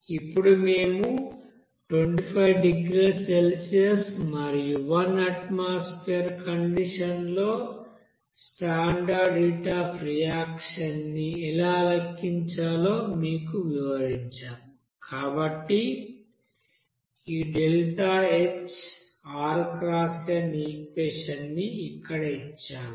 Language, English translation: Telugu, Now since we have described that to how to you know calculate the standard heat of reaction at that 25 degree Celsius and one atmospheric condition, we have you know given this equation here like you know